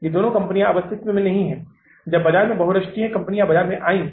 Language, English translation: Hindi, These two companies are nowhere in existence now when the multinationals entered in the market